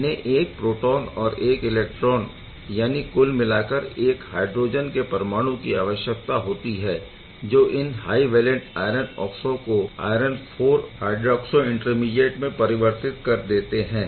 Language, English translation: Hindi, Overall it would require still 1 electron and 1 proton; that means, hydrogen atom to convert these high valent iron oxo into the iron IV hydroxo intermediate ok